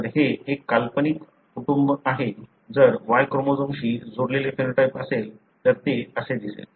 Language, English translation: Marathi, So, it is a hypothetical family, if there is a phenotype linked to Y chromosome this is how it will look like